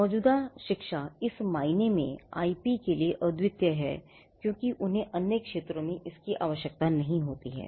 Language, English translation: Hindi, Ongoing education is unique to IP in the sense that they may not be a need to have that in the other sectors